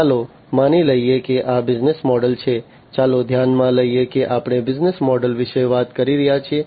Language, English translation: Gujarati, Let us assume, that this is the business model, let us consider that we are talking about the business model